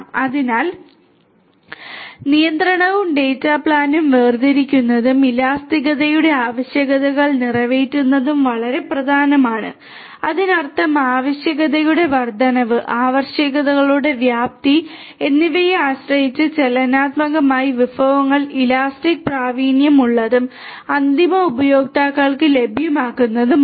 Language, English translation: Malayalam, So, it is very important to separate the control and data planes and to cater to the requirements of elasticity; that means, dynamically depending on the increase in the requirements, scalability of the requirements and so on, the resources will also be elastically a elastically proficient and made available to the end users